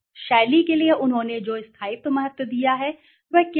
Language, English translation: Hindi, What is the durability importance they have offered to style